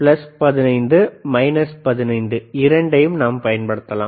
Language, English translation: Tamil, We can apply plus we can also apply plus 15 minus 15